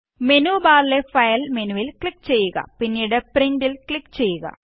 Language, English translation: Malayalam, Click on the File menu in the menu bar and then click on Print